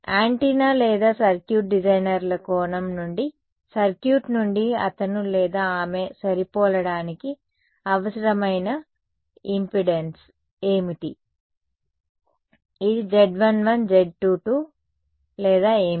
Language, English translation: Telugu, From a circuit from an antenna or a circuit designers point of view what is the impedance that he or she needs to match, is it Z 1 1, Z 2 2 or what